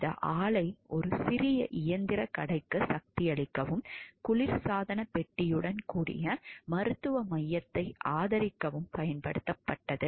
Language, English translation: Tamil, The plant was used to power a small machine shop and support a medical center with a refrigerator